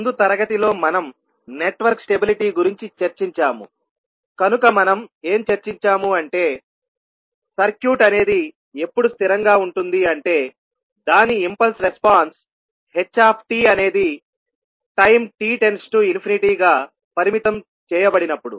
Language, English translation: Telugu, So in the last class we discussed about the network stability, so what we discussed that, the circuit is stable if its impulse response that is ht is bounded as time t tends to infinity